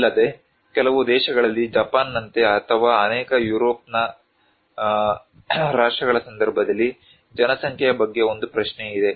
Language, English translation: Kannada, Also, in case of some countries like in case of Japan or in case of many European countries, there is a question about the populations